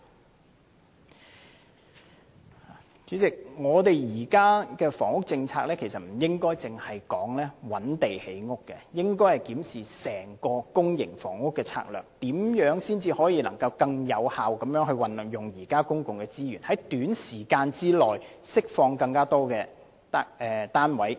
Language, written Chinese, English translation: Cantonese, 代理主席，現時的房屋政策，我們不應只談覓地建屋，而應檢視整個公營房屋的策略，如何能夠更有效地運用現有的公共資源，在短時間內釋放更多單位。, Deputy President as regards our existing housing policy we should not merely talk about identifying land for housing construction . Rather we should review our overall public housing strategy and explore how we can utilize existing public resources more effectively so as to release more units within a short period of time